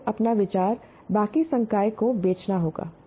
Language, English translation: Hindi, So you have to sell your idea to the rest of the faculty